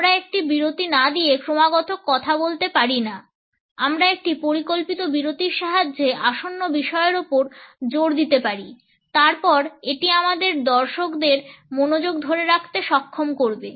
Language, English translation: Bengali, We can never continually speak without inserting a pause, we can emphasize the upcoming subject with the help of a plant pause then it would enable us to hold the attention of the audience